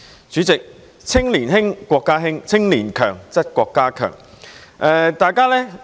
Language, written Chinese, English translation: Cantonese, 主席，"青年興則國家興，青年強則國家強"。, President a nation will prosper when young people thrive